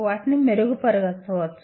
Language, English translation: Telugu, They can be improved